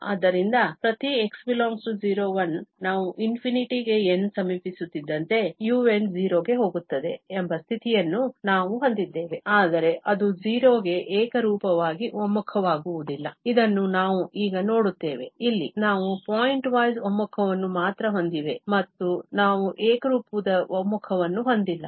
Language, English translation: Kannada, So, for each x in [0, 1), we have this condition that the un is going to 0 as n approaches to infinity, but it does not converge uniformly to 0, this is what we will see now, that here, we have only pointwise convergence and we do not have uniform convergence